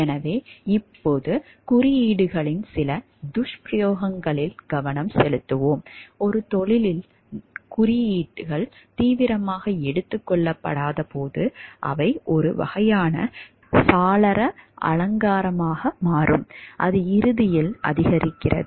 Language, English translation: Tamil, So, now we will focus into some of the abuse of codes, when codes are not taken seriously within a profession they amount to a kind of window dressing that ultimately increases